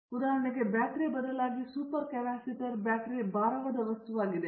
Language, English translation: Kannada, For example, super capacitors instead of batteries because battery is weighty substance